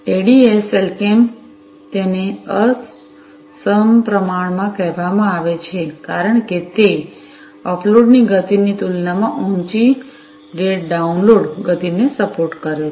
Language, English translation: Gujarati, So, ADSL why it is called asymmetric is basically because, it supports a higher date download speed compared to the upload speed